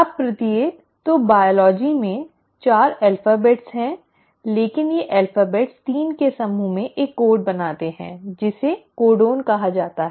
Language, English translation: Hindi, Now each, so in biology the alphabets are 4, but these alphabets arrange in groups of 3 to form a code which is called as the “codon”